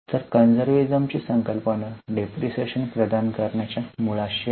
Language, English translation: Marathi, So, the concept of conservatism is at a root of the need to provide depreciation